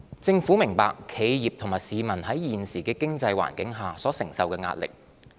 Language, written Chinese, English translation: Cantonese, 政府明白企業及市民在現時的經濟環境下所承受的壓力。, The Government understands the pressure that enterprises and citizens face in the current economic environment